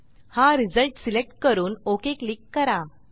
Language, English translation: Marathi, Select this result and click on OK